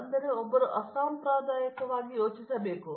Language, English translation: Kannada, So, one can unconventionally think